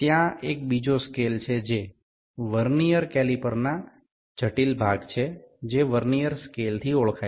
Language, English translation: Bengali, There is another scale which is the critical component of this Vernier caliper that is known as Vernier scale